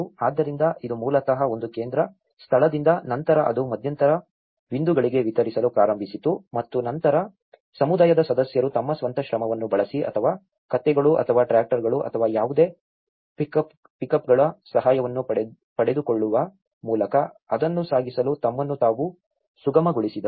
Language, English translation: Kannada, So, it is basically from one central space, then it started distributing to the intermediate points and then the community members facilitated themselves to transport to that whether by using their own labour or hiring the assistance of donkeys or tractors or any pickups